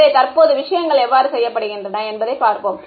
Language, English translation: Tamil, So, let us look at how things are done currently